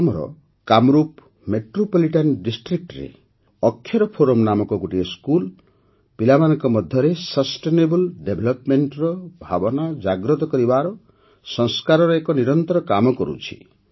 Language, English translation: Odia, A school named Akshar Forum in Kamrup Metropolitan District of Assam is relentlessly performing the task of inculcating Sanskar & values and values of sustainable development in children